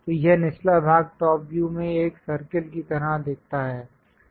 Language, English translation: Hindi, So, this bottom portion looks like a circle in the top view